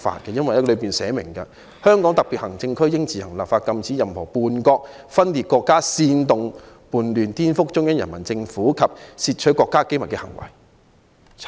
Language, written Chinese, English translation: Cantonese, 《基本法》寫明，"香港特別行政區應自行立法禁止任何叛國、分裂國家、煽動叛亂、顛覆中央人民政府及竊取國家機密的行為"。, The Basic Law stipulates that [t]he Hong Kong Special Administrative Region shall enact laws on its own to prohibit any act of treason secession sedition subversion against the Central Peoples Government or theft of state secrets